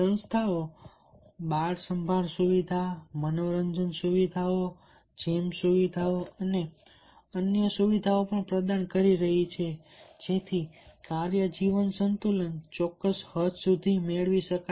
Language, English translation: Gujarati, organization are also providing child care facility, recreation facilities, gym facilities and others so that the work life balance can be attained to certain extent